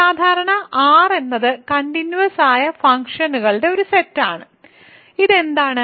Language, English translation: Malayalam, The usual R is a set of continuous functions, what is this